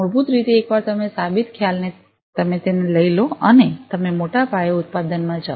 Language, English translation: Gujarati, Basically, in all we need to do is once you have a proven concept you take it and you go for mass production